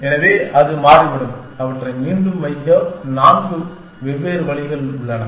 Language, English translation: Tamil, So, it turns out that there are four different ways to put them back